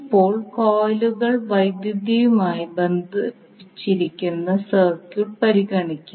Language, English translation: Malayalam, Now let us consider the circuit where the coils are electrically connected also